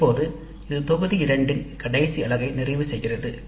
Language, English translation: Tamil, Now that completes the last unit of module 2